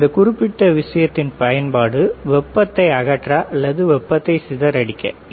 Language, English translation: Tamil, The use of this particular thing is called heat sink to take away the heat or dissipate the heat